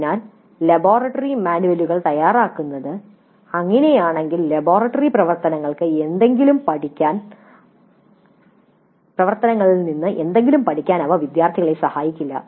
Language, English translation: Malayalam, So if that is the way the laboratory manuals are prepared, probably they would not really help the students to learn anything in the laboratory work